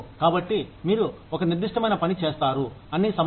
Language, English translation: Telugu, So, you do a certain kind of work, all the time